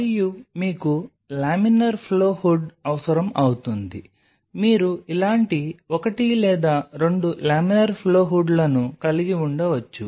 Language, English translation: Telugu, And you will be needing laminar flow hood you can have maybe one or 2 laminar flow hoods like this either